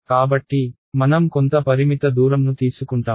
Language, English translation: Telugu, So, I take some finite distance